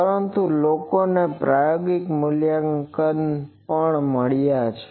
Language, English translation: Gujarati, But people have found out experimentally also